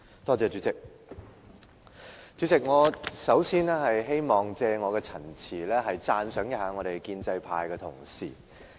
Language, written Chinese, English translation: Cantonese, 主席，我首先希望借我的陳辭，讚賞一下建制派的同事。, President first of all I want to compliment Members belonging to the Democratic Alliance for the Betterment and Progress of Hong Kong DAB